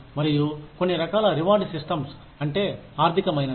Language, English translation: Telugu, And, some types of rewards systems, that are, there are financial